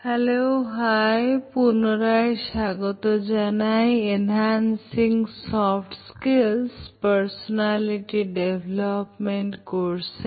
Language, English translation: Bengali, Welcome back to my course on Enhancing Soft Skills and Personality